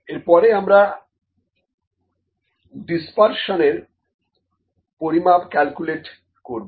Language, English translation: Bengali, Next also we can calculate the measure of dispersion here, ok